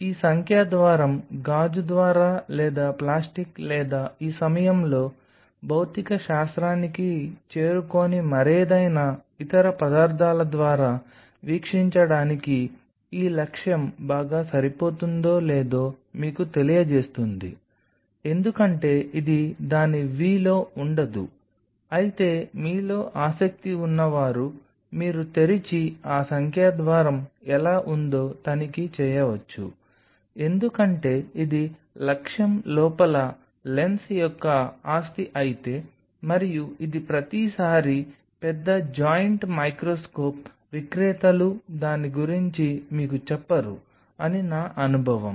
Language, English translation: Telugu, This numerical aperture is the one which will tell you whether this objective is best suited for a viewing through glass or through plastic or some other material not getting to the physics of it at this point, because this is not will in the v of it, but those of you are interested you can open up and check how that numerical aperture is being because if this is property of the lens itself inside the objective and this is something it is my experience that every time the big joint microscope sellers kind of do not tell you about it